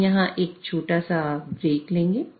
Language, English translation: Hindi, So, we'll take a short break here